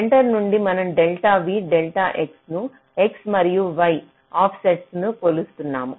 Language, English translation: Telugu, so from the center we are measuring delta v, delta x as the x and y offsets